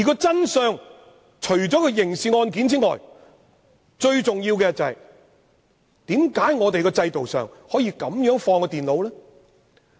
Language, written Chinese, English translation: Cantonese, 真相除了所涉及的刑事元素之外，最重要的是為何在制度上可以如此處置那台電腦？, Apart from the criminal issues involved the most important parts of the truth are Why can the computers be handled in this way under the present system?